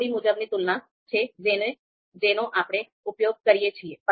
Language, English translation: Gujarati, So, this is pairwise comparisons that we use